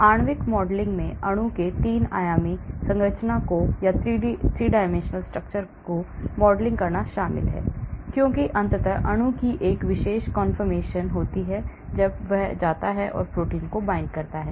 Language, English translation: Hindi, Molecular modelling involves modelling the 3 dimensional structure of the molecule because ultimately the molecule has a particular confirmation when it goes and binds to the protein